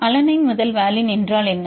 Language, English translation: Tamil, What is valine to alanine